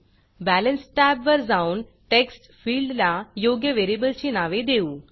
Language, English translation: Marathi, Go to the Balance tab, let us give proper variable name to these text fields here